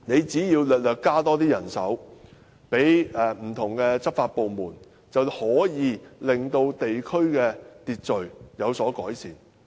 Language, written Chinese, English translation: Cantonese, 只要政府稍為增加人手予不同的執法部門，便能夠令地區的秩序有所改善。, If the Government can slightly increase the manpower of various law enforcement departments the order in these districts can be improved